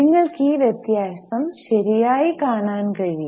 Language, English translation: Malayalam, You can see this difference